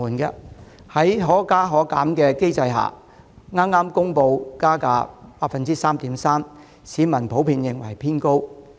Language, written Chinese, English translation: Cantonese, 在票價可加可減機制下，港鐵又剛公布加價 3.3%， 市民普遍認為加幅偏高。, Under the Fare Adjustment Mechanism FAM MTRCL recently announced yet another fare increase of 3.3 % which was seen as too steep by the public in general